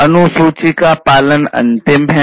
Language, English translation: Hindi, Schedule follow up is the last one